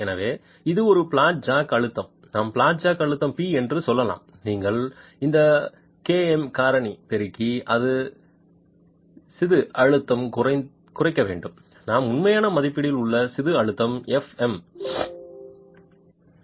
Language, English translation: Tamil, So, it is the flat jack pressure, let's say the flat jack pressure is p, you multiply the KM factor to this and it will reduce the in situ pressure, the actual estimate of the insidue stress fM